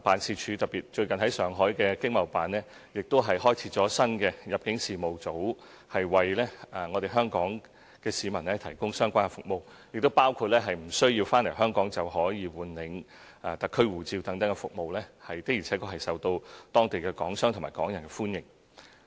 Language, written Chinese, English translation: Cantonese, 此外，最近，駐上海經貿辦新開設了入境事務組，為香港市民提供相關服務，包括無須回港便可換領特區護照等服務，的而且確受到當地港商和港人的歡迎。, Moreover recently the Shanghai ETO has newly set up the Immigration Division to provide the people of Hong Kong with relevant services including replacement of the Special Administrative Region SAR passports without the need to return to Hong Kong which are indeed welcomed by Hong Kong businessmen and Hongkongers there